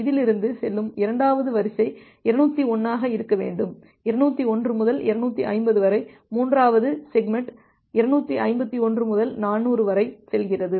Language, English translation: Tamil, The second sequence it goes from this should be 201 it goes from 201 to 250, the third segment it goes from 251 to 400